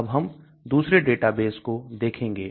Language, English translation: Hindi, Now let us look at another database